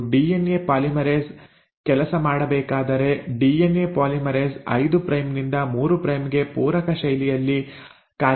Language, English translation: Kannada, And if the DNA polymerase has to work, the DNA polymerase will work in the complimentary fashion 5 prime to 3 prime